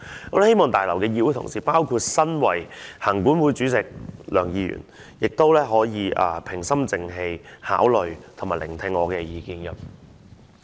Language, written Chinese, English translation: Cantonese, 我希望大樓的議會同事，包括身為行管會主席梁議員，亦都平心靜氣地聆聽及考慮我的意見。, I hope that Honourable colleagues in this Complex including Mr LEUNG Chairman of the Legislative Council Commission can listen to and consider my views in a calm and rational manner